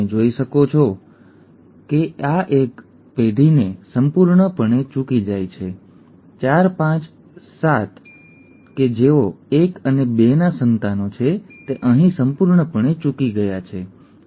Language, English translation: Gujarati, As you can see this disease misses a generation completely; 4, 5 and 7 who are offspring of 1 and 2, is completely missed here, okay